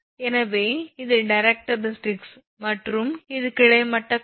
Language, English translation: Tamil, So, and this one this is the directrix and this is the horizontal line